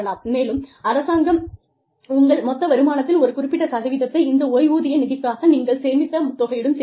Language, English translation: Tamil, And, the government matches, a percentage of your total income, and contributes to this pension fund